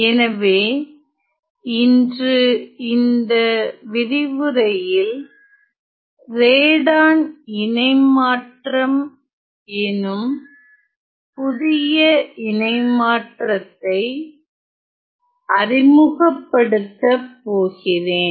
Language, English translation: Tamil, So, today in this lecture I am going to introduce another new transform namely the Radon Transform